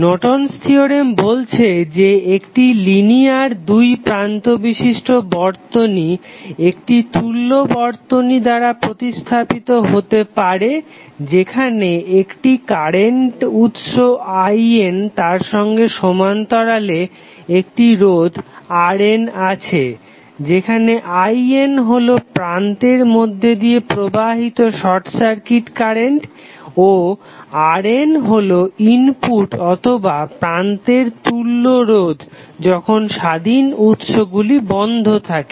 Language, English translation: Bengali, So, Norton's Theorem says that a linear two terminal circuit can be replaced by an equivalent circuit consisting of a current source I N in parallel with resistor R N where I N is consider to be a short circuit current through the terminals and R N is the input or equivalent resistance at the terminals when the independent sources are turned off